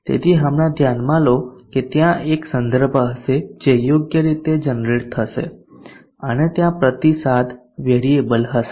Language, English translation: Gujarati, So right now consider that there will be a reference which will be generated appropriately and there will be a feedback variable